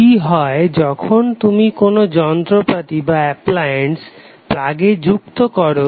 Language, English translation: Bengali, So what happens when you plug in your appliance in the house